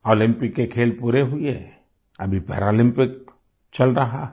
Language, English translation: Hindi, The events at the Olympics are over; the Paralympics are going on